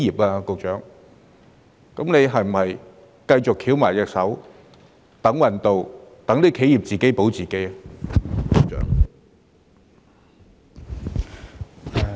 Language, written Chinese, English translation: Cantonese, 那麼，局長是否只會繼續"翹埋雙手等運到"，讓企業只能自保呢？, So will the Secretary continue to sit on his hands and try his luck and let enterprises save themselves?